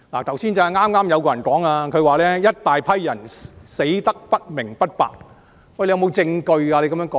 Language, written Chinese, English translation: Cantonese, 剛才就有議員說"一大批人死得不明不白"，他可有證據支持他的說法呢？, Just now a Member said that a large group of people had died for unknown reasons . Does the Member have any evidence to support his remark?